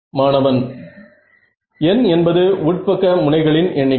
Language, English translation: Tamil, So, n is the number of interior edges